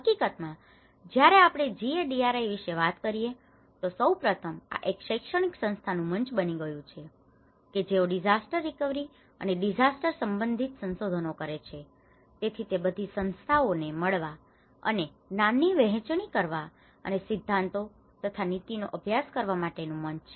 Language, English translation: Gujarati, In fact, when we talk about the GADRI, first of all this has become a platform for all the academic institutes who are doing the research and disaster recovery and disaster related research, so it is a platform for all these institutes to come together and share the knowledge and inform the policy practice and also the theory